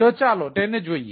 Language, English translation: Gujarati, ok, so let us look at it